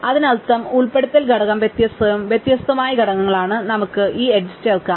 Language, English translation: Malayalam, They are different, they are in different components and we can add this edge